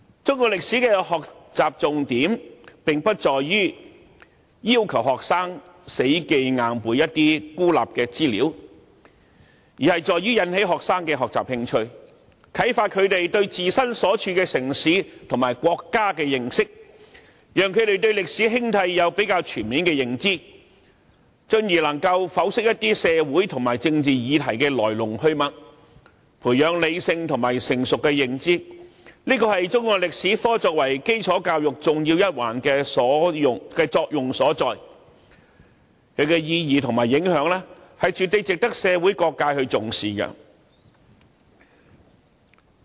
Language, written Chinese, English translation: Cantonese, 中國歷史的學習重點不在於要求學生死記硬背一些孤立的資料，而是引起學生的學習興趣，啟發他們對自身所處城市和國家的認識，讓他們對歷史興替有較全面的認知，進而能夠剖析一些社會和政治議題的來龍去脈，培養理性和成熟的認知，這是中史科作為基礎教育重要一環的作用所在，其意義和影響絕對值得社會各界重視。, The key to learning Chinese history is not requiring students to memorize isolated pieces of information but to arouse their interests in learning inspire them to understand the city and country in which they live enable them to have a fuller understanding of the rise and fall of eras so that they can analyse social and political issues and develop a rational and mature understanding . That is the function of Chinese history as an important discipline of basic education . I think importance should be attached to its significance and impact by all sectors of society